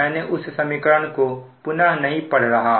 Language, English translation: Hindi, rewrite this equation